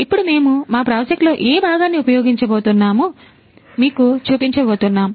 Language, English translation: Telugu, So, now we are going to show you what component we are going to use in our project